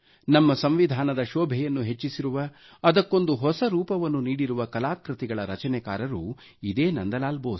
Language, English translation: Kannada, This is the same Nandlal Bose whose artwork adorns our Constitution; lends to the Constitution a new, unique identity